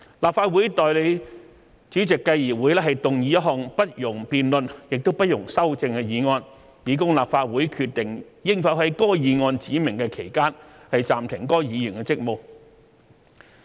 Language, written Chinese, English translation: Cantonese, 立法會代理主席繼而會動議一項不容辯論亦不容修正的議案，以供立法會決定應否在該議案指明的期間暫停該議員的職務。, A motion will then be moved by the Presidents deputy for the Council to decide without debate or amendment whether the Member should be suspended from the service of the Legislative Council for the period specified in the motion